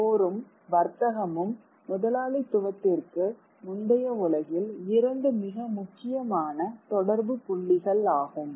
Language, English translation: Tamil, War and trade, these are two very important points of contact in the pre capitalist world